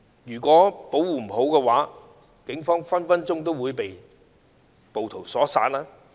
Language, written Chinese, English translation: Cantonese, 如果保護不當，警方也有可能被暴徒所殺。, If the police officers had not adequately protected themselves they might as well have been killed by the rioters